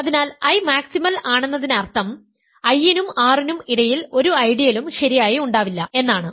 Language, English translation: Malayalam, So, is prime; so, I is maximal means there cannot be any ideal between I and R properly